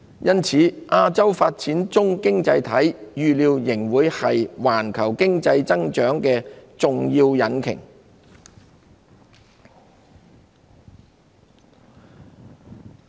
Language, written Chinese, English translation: Cantonese, 因此，亞洲發展中經濟體預料仍會是環球經濟增長的重要引擎。, Hence developing economies in Asia are expected to remain as key engines driving global economic growth